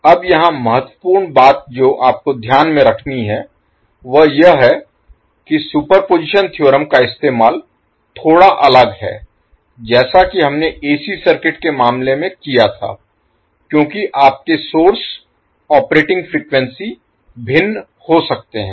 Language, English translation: Hindi, Now, here the important thing which you have to keep in mind is that the processing of the superposition theorem is little bit different as we did in case of AC circuit because your source operating frequencies can be different